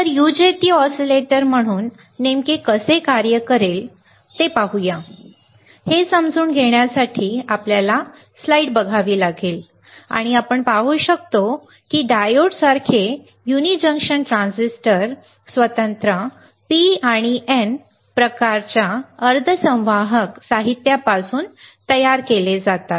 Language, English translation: Marathi, So, let us see how exactly UJT will work as an oscillator; to understand that we have to see the slide and we can see that like diodes uni junction transistors are constructed from separate P type and N type semiconductor materials